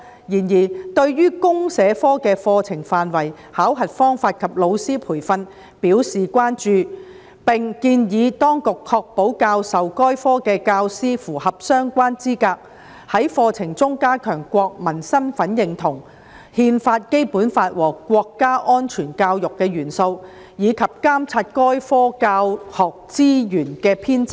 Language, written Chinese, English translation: Cantonese, 然而，事務委員會對於公社科的課程範圍、考核方法及老師培訓表示關注，並建議當局確保教授該科的教師符合相關資格，在課程中加強國民身份認同、《憲法》、《基本法》和國家安全教育的元素，以及監察該科教學資源的編製。, However while expressing concerns over the curriculum assessment method and teacher training of the CSD subject the Panel also suggested the Administration ensure that teachers teaching the subject were relevantly qualified strengthen the elements of national identity Constitution Basic Law and national security education in the curriculum and monitor the development of the teaching resources of the subject